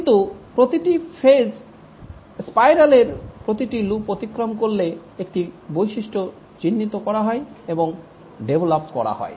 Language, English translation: Bengali, But over each phase, that is each loop of the spiral, one feature is identified and is developed